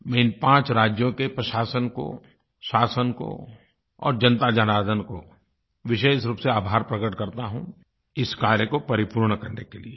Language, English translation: Hindi, I express my gratitude to the administration, government and especially the people of these five states, for achieving this objective